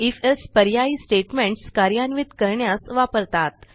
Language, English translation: Marathi, If...Else statement is used to execute alternative statements